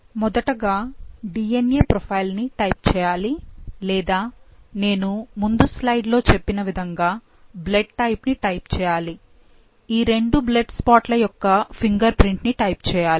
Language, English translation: Telugu, So the first step is, type DNA profile or like what I just told you in the previous slide, type by the blood type or the fingerprint of these two blood spots